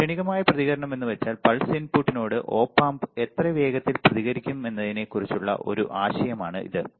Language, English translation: Malayalam, Transient response is nothing, but this gives you an idea of how fast the Op amp will response to the pulse input